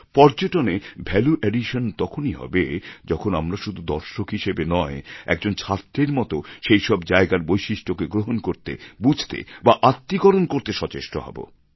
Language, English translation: Bengali, There will be a value addition in tourism only when we travel not only as a visitor but also like a student and make efforts to assimilate, understand & adapt